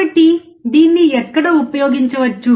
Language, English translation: Telugu, So, where can it be used